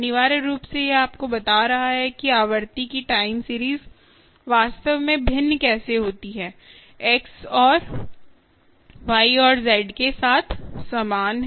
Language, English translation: Hindi, essentially, its telling you that time series of the frequency, ok, how, the how the frequencies actually varying is the same with and x and y and z